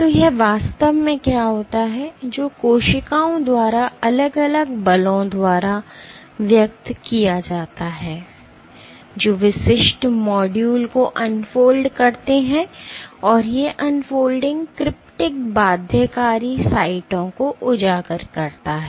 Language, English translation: Hindi, So, what it turns out it is actually forces exerted by cells which unfold individual modules and these unfolding exposes cryptic binding sites